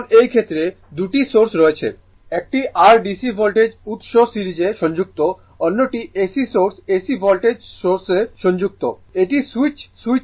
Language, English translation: Bengali, Now, in this case 2 sources are there; one your DC voltage source is connected in series, another is AC source AC voltage source is connected one switch is there you close the switch right